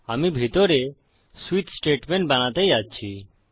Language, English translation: Bengali, Im going to create a switch statement inside